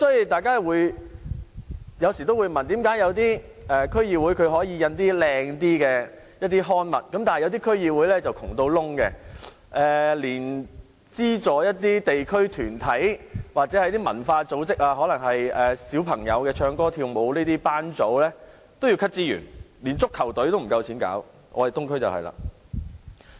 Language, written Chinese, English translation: Cantonese, 大家有時會問，為何有些區議會可以印刷比較精美的刊物，但有些區議會則十分貧窮，連資助一些地區團體或文化組織活動，例如教小朋友唱歌跳舞的班組也要削減資源，即使是成立足球隊也不夠錢，我們的東區正正就是這個情況。, That is why people may ask how come some DCs can afford decent publicity pamphlets but some other DCs are so poor that they have to cut even the sponsorship for activities organized by local or cultural groups . For example they have to reduce the sponsorship for childrens singing and dancing classes and they do not have money to organize a soccer team . That is what is happening in our Eastern District